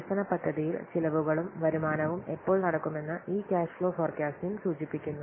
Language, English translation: Malayalam, This cash flow forecast indicates when expenditures and income will take place during the development of a project